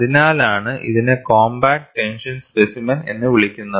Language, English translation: Malayalam, That is why it is called as compact tension specimen